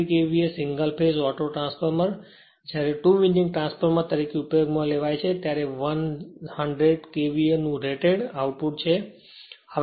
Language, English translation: Gujarati, 3 KVA single phase auto transformer when used as 2 winding transformer has the rated output of 100 KVA